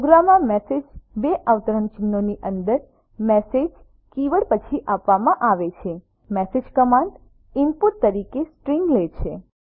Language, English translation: Gujarati, Message in a program is given within double quotes after the keyword message message command takes string as input